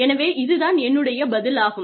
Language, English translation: Tamil, So, it is my response